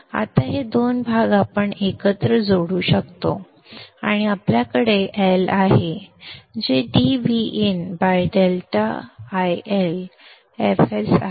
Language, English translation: Marathi, Now this two parts we can combine together and we have l which is v n into d divided by delta iL f s